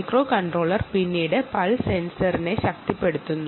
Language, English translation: Malayalam, the microcontroller then energizes the pulse sensor, ah